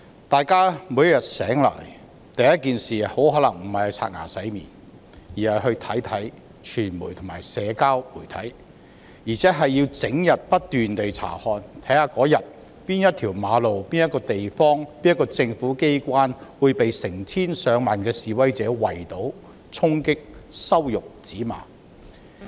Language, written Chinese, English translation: Cantonese, 大家每天醒來，第一件事很可能不是洗臉刷牙，而是去查看傳媒和社交媒體，還會整天不斷查看，看看當天哪一條馬路、哪一個地方、哪一個政府機關將會被成千上萬的示威者圍堵、衝擊、羞辱、指罵。, When we wake up every day probably the first thing we do is not to wash our face or brush our teeth but to access the mass media and social media and we will keep checking the whole day to see which road which place and which government agency has been besieged stormed humiliated and hurled with abuses by tens of thousands of protesters